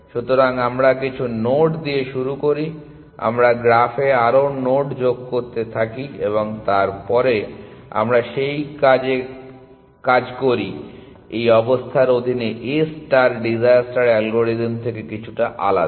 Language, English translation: Bengali, So, we start with some node we keep adding more nodes to the graph and then we work with that under these conditions A star is a little bit different from disasters algorithm